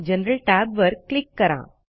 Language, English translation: Marathi, Click on the General tab